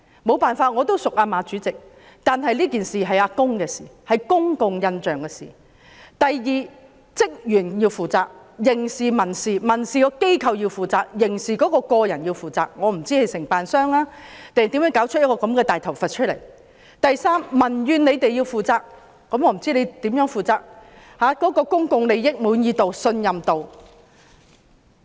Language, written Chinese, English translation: Cantonese, 雖然我和馬主席相熟，但這是公共印象的問題；第二，職員要負責，不論在刑事或民事方面，機構要民事負責，人員要刑事負責，我不知道是承辦商還是誰搞出這個"大頭佛"；第三，政府要平息民怨，我不知道政府要如何負責，保持市民的滿意度和信任度。, Although I know Chairman MA very well this is a matter of public impression; second staff members must be held liable whether criminally or civilly . The organizations must be held liable civilly while staff members must be held liable criminally . I am not sure whether this mess was caused by the contractors or someone else; third the Government must address social grievances